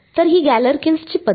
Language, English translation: Marathi, So, it is Galerkin’s method